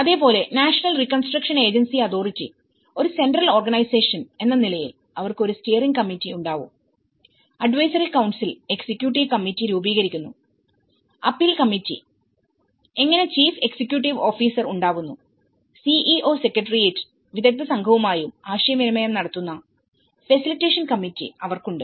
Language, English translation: Malayalam, And similarly, with the National Reconstruction Agency Authority, how a central organization, you have the Steering Committee, the Advisory Council and the Appeal Committee that formulates with the Executive Committee and this is how you have the Chief Executing Officer and which have the Facilitation Committee with interaction with the CEO Secretariat and the experts group